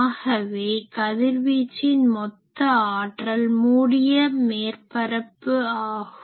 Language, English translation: Tamil, So, we can say that total power radiated that will be a closed surface S